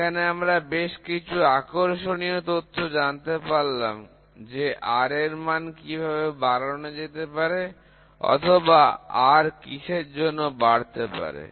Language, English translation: Bengali, So, there are some interesting facts, which should know about how to increase R or R increases with what